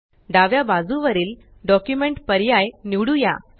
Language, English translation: Marathi, On the left side, lets select the Document option